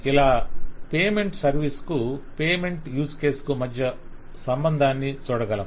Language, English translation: Telugu, So you can see an association between the payment service and the payment use case